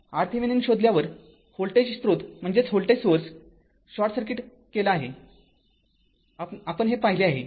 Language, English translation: Marathi, When you find the R Thevenin, this voltage source is sorted, we have seen this right